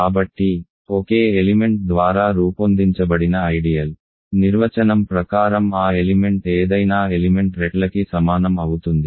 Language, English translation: Telugu, So, an ideal generated by a single element is by definition that element times any element